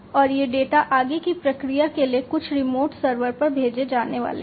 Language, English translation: Hindi, And these data are going to be sent across you know to some remote server, for further processing